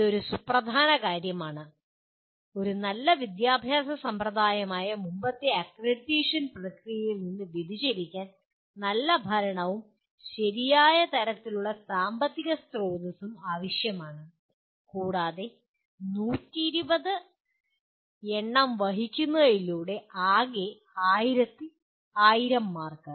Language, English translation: Malayalam, This is a significant deviation from the earlier accreditation process that is a good system of education requires good governance and the right kind of financial resources and that carry 120 as you can see the total is 1000 marks